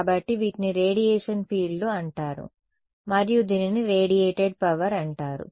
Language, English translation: Telugu, So, these are called radiation fields and this is called radiated power